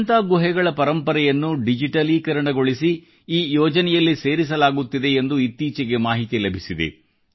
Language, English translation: Kannada, Just recently,we have received information that the heritage of Ajanta caves is also being digitized and preserved in this project